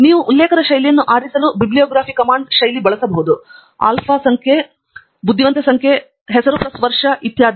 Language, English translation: Kannada, And you can use the command bibliography style to choose a style of referencing alpha numeric, number wise or name plus year etcetera